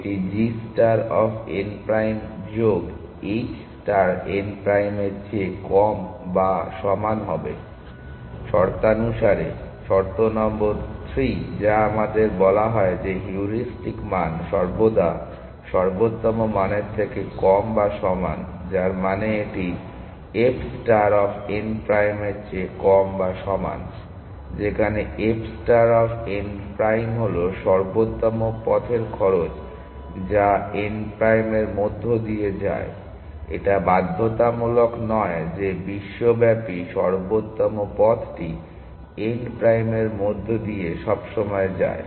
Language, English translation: Bengali, This will be less than equal to g star of n prime plus h star of n prime, because of the condition, condition number 3 which we are said that the heuristic values always less than or equal to the optimal value, which means this is equal to less than or equal to f star of n prime, where f star of n prime is the cost of the optimal path which passes through n prime; not necessarily the globally optimal path to the optimal path passes through n prime